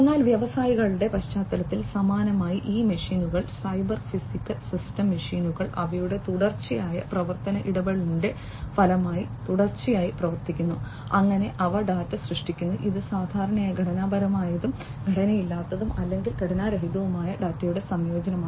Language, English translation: Malayalam, But in the context of industries similarly these machines, cyber physical systems machines etcetera continuously do by virtue of their continuous operation interaction and so on they are generating data, which typically is a combination of structured and unstructured or non structured data